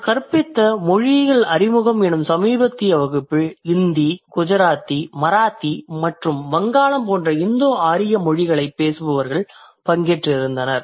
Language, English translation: Tamil, So the most recent class that I was teaching introduction to linguistics course, I had for Indo Avian, I had languages like I had speakers in the class who speak Indo Iran languages like Hindi, Gujarati, Marathi and Bangla